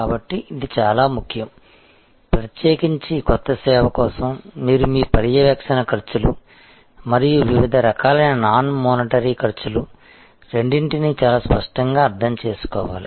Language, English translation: Telugu, So, this is very important, particularly for a new service, you need to very clearly understand both your monitory costs and different types of non monitory costs